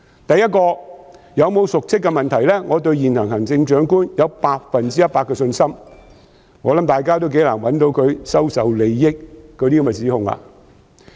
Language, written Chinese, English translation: Cantonese, 第一，對於有否瀆職的問題，我對現任行政長官有百分之一百的信心，我相信大家亦頗難找出她收受利益的指控。, To start with I have total confidence in the incumbent Chief Executive on the question of whether she has committed dereliction of duty . I believe it is quite difficult for people to make allegations against her for acceptance of advantages